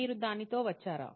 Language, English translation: Telugu, Did you come up with that